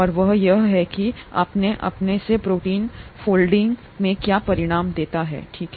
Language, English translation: Hindi, And that is what results in protein folding by itself, okay